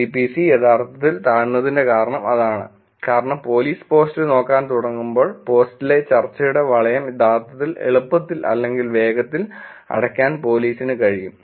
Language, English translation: Malayalam, That is the reason why C P C is actually lower is because when police starts looking at the post, police interacts they can actually easily or quickly close the loop of the discussion on the post